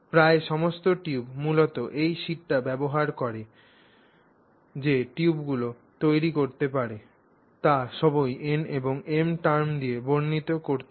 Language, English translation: Bengali, So, that is the way in which so almost all the tubes, basically the tubes that you can generate using this sheet can all be described in terms of n and different value of m